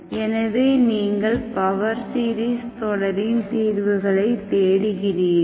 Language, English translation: Tamil, So you look for, you look for power series solutions